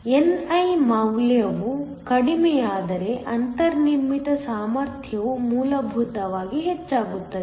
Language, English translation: Kannada, If the value of ni goes down, then the built in potential will essentially increase